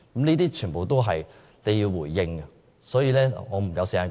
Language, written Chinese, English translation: Cantonese, 這全都是政府需要回應的問題。, The Government must address this concern